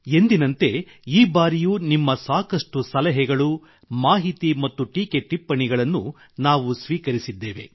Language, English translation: Kannada, As always, this time too we have received a lot of your suggestions, inputs and comments